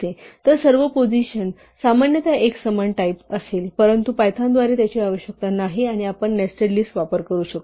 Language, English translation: Marathi, So, all position will actually typically have a uniform type, but this is not required by python and we can nest list